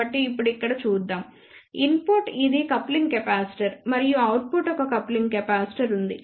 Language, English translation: Telugu, So, let us see now here is an input this is the coupling capacitor and output there is a coupling capacitor